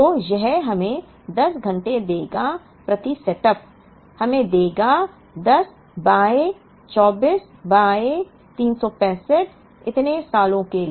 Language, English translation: Hindi, So, this would give us 10 hours per setup will give us 10 by 24 by 365 so these many years